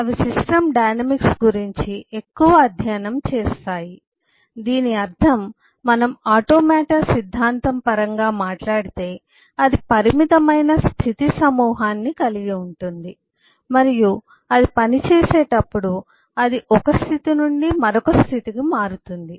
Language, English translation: Telugu, what it simply means that, if we talk in terms of automata theory, it has caught a finite set of states and when it works it simply changes from one state to the other